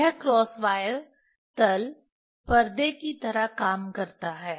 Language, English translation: Hindi, This cross wire plain act as a screen